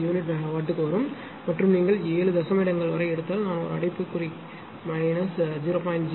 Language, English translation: Tamil, 00979 per unit megawatt and if you take up to 7 decimal places a bracket I made it it is minus 0